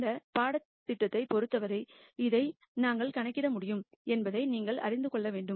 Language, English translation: Tamil, And as far as this course is concerned you just need to know that we can compute this